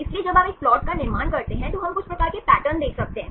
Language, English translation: Hindi, So, when you construct a plot, we can see some sort of patterns